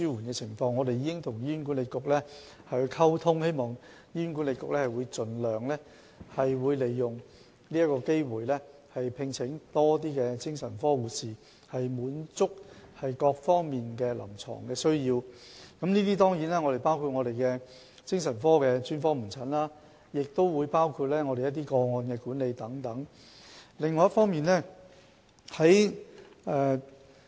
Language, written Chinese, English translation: Cantonese, 我們會與醫管局溝通，希望醫管局盡量利用這個機會，聘請更多精神科護士，以滿足各方面的臨床需要，當然包括精神科專科門診服務及個案管理等方面的需求。, We will liaise with HA and hope that it can make use of this opportunity to recruit more psychiatric nurses to meet various clinical needs which certainly include psychiatric specialist outpatient services and case management support